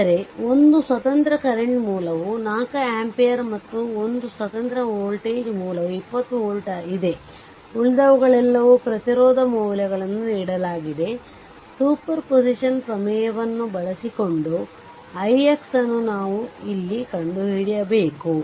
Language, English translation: Kannada, But one independent current source is there 4 ampere and one independent voltage source is there 20 volt, all others are eh resistance values are given, we have to find out here what you call i x using superposition theorem right